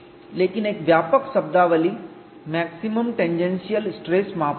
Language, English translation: Hindi, But a generic terminology is maximum tangential stress criterion